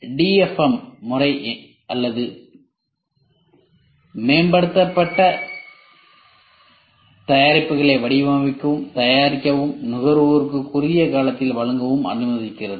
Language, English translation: Tamil, DFM methodology allows for new or improved products to be designed, manufactured and offered to the consumers in a short amount of time